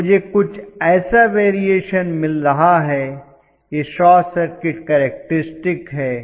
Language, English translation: Hindi, So I am going to have something like this as the variation, this is the short circuit characteristic